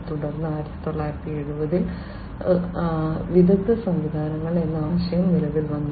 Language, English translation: Malayalam, Then you know in the 1970s the concept of expert systems came into being